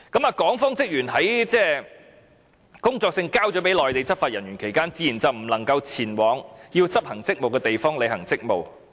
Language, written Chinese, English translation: Cantonese, 在港方職員把工作證交給了內地執法人員期間，自然便不能前往要執行職務的地方履行職務。, After the officer of the Hong Kong authorities submits his work permit to the Mainland law enforcement officer he naturally cannot go to the location where he has to perform his duties